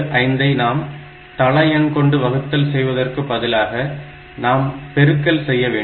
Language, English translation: Tamil, 75 will instead of dividing by the base, we will multiply by the base